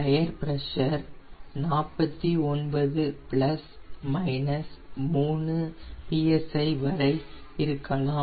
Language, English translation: Tamil, it has forty nine plus minus three psi